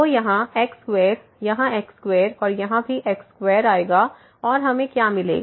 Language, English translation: Hindi, So, here square here square and here also square will come and what we will get